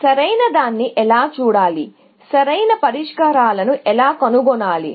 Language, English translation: Telugu, How to look at optimal, how to find optimal solutions